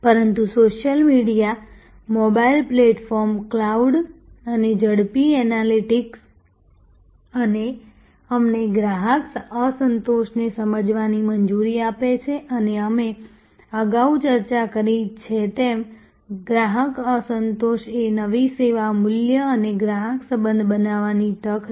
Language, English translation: Gujarati, But, the social media, the mobile platform, the cloud and rapid analytics allow us to sense customer dissatisfaction and as we discussed earlier, customer dissatisfaction is an opportunity for creating new service value and customer relationship